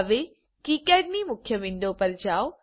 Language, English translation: Gujarati, Now go to KiCad main window